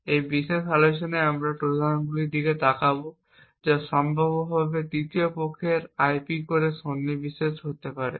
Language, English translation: Bengali, In this particular talk we will be looking at Trojans that could potentially inserted in third party IP cores